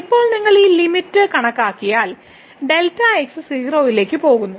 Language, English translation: Malayalam, Now, if you compute this limit because as we see delta goes to 0